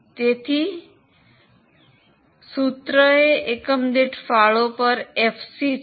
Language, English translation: Gujarati, So, FC upon contribution per unit is a formula